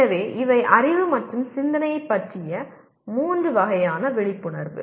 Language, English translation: Tamil, So these are three types of awareness of knowledge and thinking